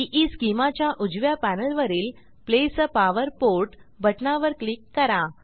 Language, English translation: Marathi, On the right panel of EESchema, click on Place a power port button